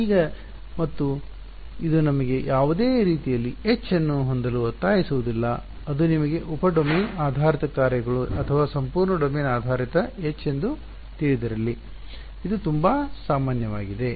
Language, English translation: Kannada, Now, and this does not in any way force me to have H to be you know sub domain basis functions or entire domain basis H is H whatever it is so a very general